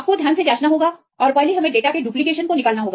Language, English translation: Hindi, You have to check carefully and first we have to remove the duplication of data